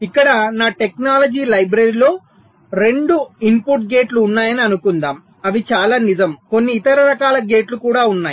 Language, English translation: Telugu, ok, fine, so here, assuming that my technology library consists of two input gates, which is quite true, of course few other type of gates are also there